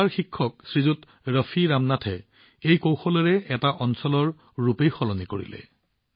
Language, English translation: Assamese, Shriman Raafi Ramnath, a teacher from Kerala, changed the scenario of the area with this technique